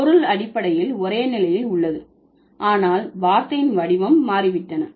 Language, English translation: Tamil, So, the meaning basically remains same, but then the form of the word had changed